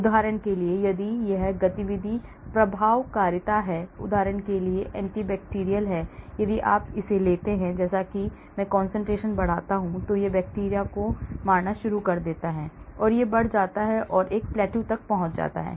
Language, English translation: Hindi, for example if this is the activity efficacy, for example, anti bacterial if you take as I keep increasing concentration, it starts killing bacteria and it rises and reaches plateau